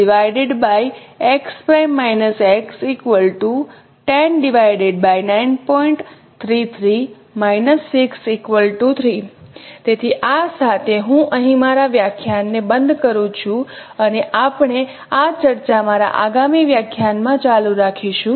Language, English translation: Gujarati, So with this let me stop my lecture here and we will continue this discussion in my next lecture